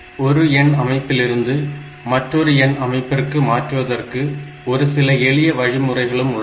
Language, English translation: Tamil, So, this way we can convert from one number system to another number system